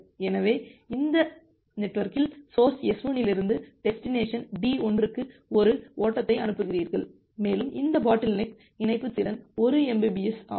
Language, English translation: Tamil, So, you have say this network and you are you are sending a single flow from this source to S1 to destination D1 and assume that this bottleneck link capacity is 1 Mbps